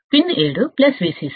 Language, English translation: Telugu, Pin 7 is plus VCC